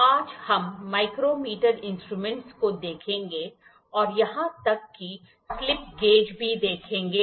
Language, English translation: Hindi, So, today we will see micrometer instruments and even see also slip gauges